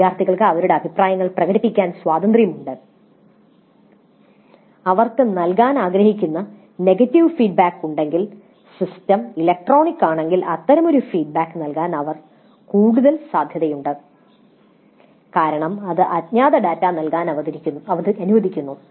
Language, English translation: Malayalam, Because the feedback is electronic and it is anonymous, the students are free to express their opinions and if they have negative feedback which they wish to give they would be more likely to give such a feedback if the system is electronic because it permits anonymous data to be entered